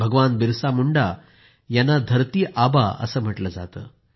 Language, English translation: Marathi, Bhagwan Birsa Munda is also known as 'Dharti Aaba'